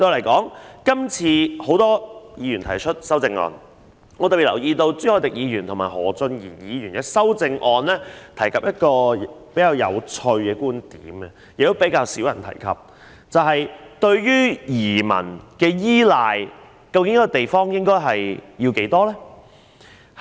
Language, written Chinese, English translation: Cantonese, 今次有很多議員就議案提出修正案，我特別留意到朱凱廸議員和何俊賢議員的修正案均提及一個比較有趣，但卻較少人提及的觀點，那就是一個地方對移民的依賴應該有多重。, Many Members propose amendments to the motion moved this time and it has specially come to my attention that both Mr CHU Hoi - dick and Mr Steven HO have mentioned in their amendments a rather interesting viewpoint which is seldom discussed that is how heavy should a place rely on inward migration